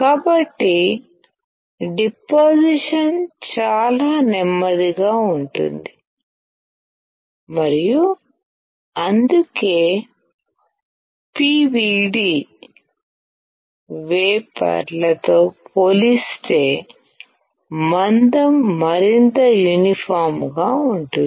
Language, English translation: Telugu, So, the deposition is extremely slow and that is why the thickness would be more uniform compared to PVD wafers